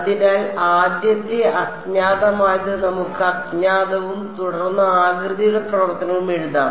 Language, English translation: Malayalam, So, the first unknown let us write the unknown and then the shape function